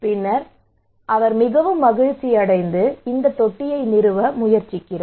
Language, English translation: Tamil, And then he was very happy and decided to go for this tank